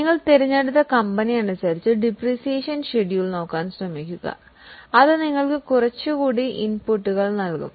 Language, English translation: Malayalam, I will once again remind you to look at the depreciation schedule as per your own company and that will give you some more inputs